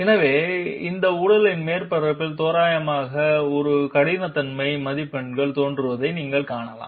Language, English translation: Tamil, So you can see roughly those roughness marks appearing on the surface of this body